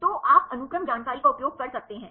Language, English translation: Hindi, So, you can use the sequence information